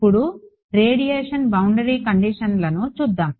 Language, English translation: Telugu, Let us look at the Radiation Boundary Conditions now